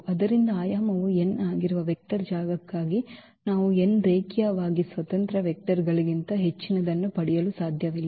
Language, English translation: Kannada, So, for a vector space whose dimension is n we cannot get more than n linearly independent vectors